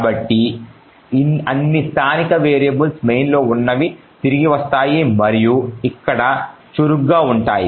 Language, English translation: Telugu, So, all the local variables if any that are present in the main would come back and would actually be active over here